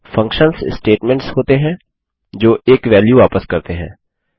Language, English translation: Hindi, Functions are statements that return a single value